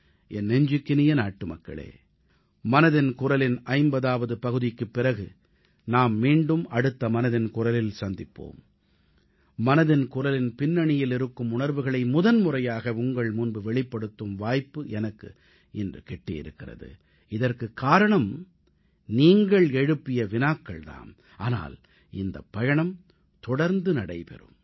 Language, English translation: Tamil, My dear countrymen, we shall meet once again in the next episode after this 50th episode of Mann Ki Baat and I am sure that in this episode of Mann Ki Baat today I got an opportunity for the first time to talk to you about the spirit behind this programme because of your questions